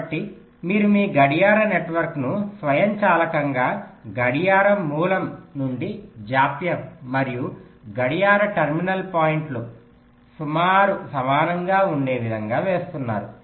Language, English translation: Telugu, so the idea is that you are laying out your clock network in such a way that automatically the delay from the clock source and the clock terminal points become approximately equal